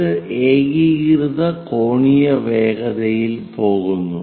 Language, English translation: Malayalam, It goes with uniform angular velocity